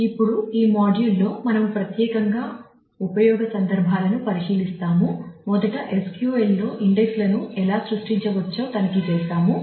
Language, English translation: Telugu, Now, in this module we would specifically look into the use cases, we will check as to how indexes can be created in SQL first